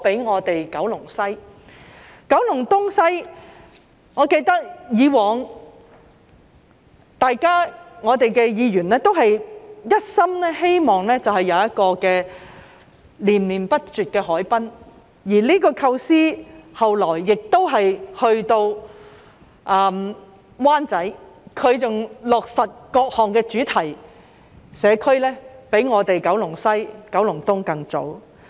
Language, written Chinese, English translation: Cantonese, 在九龍東及九龍西，我記得各位議員以往都是一心希望有一個連綿不斷的海濱，這個構思後來亦延伸至灣仔，而該區落實各項的主題社區，比我們九龍西及九龍東更早。, As regards Kowloon East and Kowloon West I remember that in the past fellow Members all along wished that we could have a continuous harbourfront . Such a concept has also been extended to Wan Chai later on where various thematic communities have been implemented earlier than our Kowloon West and Kowloon East